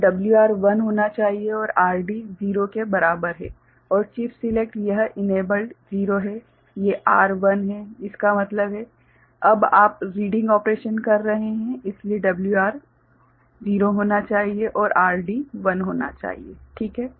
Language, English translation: Hindi, So, WR should be 1 and RD is equal to 0 right and chip select it is enabled 0 right, these R is 1; that means, now you are doing the reading operation so, WR should be 0 and RD should be 1 ok